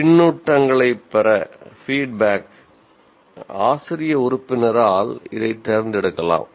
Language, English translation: Tamil, This can be chosen by the faculty member to get the kind of feedback